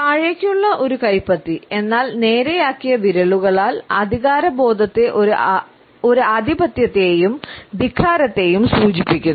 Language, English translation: Malayalam, A palm which is downward, however, with fingers which are straightened, indicates a sense of authority a dominance and defiance